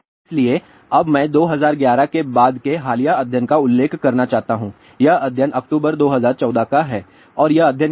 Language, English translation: Hindi, So, now I want to mention that the recent study after 2011 this study is October 2014 and what that study is this is a very interesting study